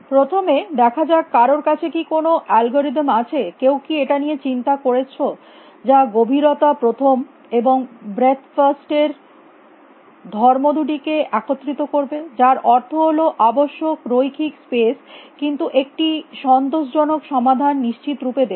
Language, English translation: Bengali, Let us first look at this is there an algorithm did anybody give a thought to this which will combine these two properties of depth first breadth first which means required linear space but, guaranty an optimal solution